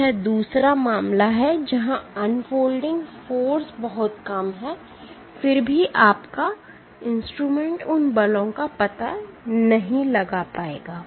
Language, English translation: Hindi, So, this is the other case where the unfolding forces are very low, then also your instrument you cannot detect those forces